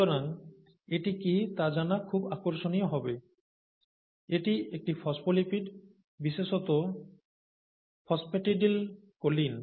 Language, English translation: Bengali, So this is a phospholipid, particularly phosphatidyl choline